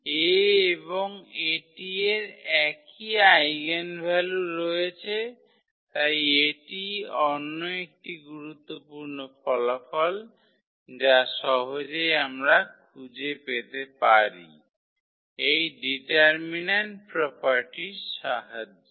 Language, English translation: Bengali, So, A and A transpose have same eigenvalue, so that is another important result which easily we can find out with the help of this determinant property